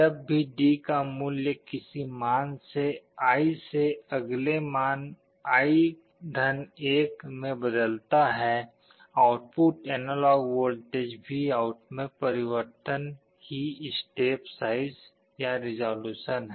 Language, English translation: Hindi, Whenever the value of D changes from any value i to the next value i+1, the change in the output analog voltage VOUT is the step size or resolution